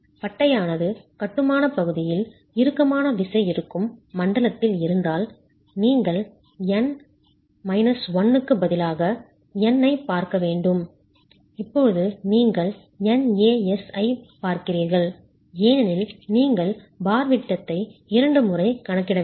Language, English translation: Tamil, Whereas if the bar is in a zone where tension is present in the masonry then you will have to look at n instead of n minus 1, now you are looking at n into ASI because you're not counting the bar diameter twice